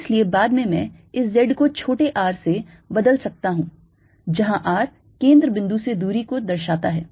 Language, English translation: Hindi, so later i can replace this z by small r, where r will indicated the distance from the center